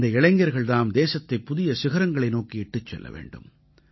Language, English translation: Tamil, These are the very people who have to elevate the country to greater heights